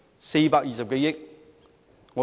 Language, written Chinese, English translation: Cantonese, 420多億元。, It cost some 42 billion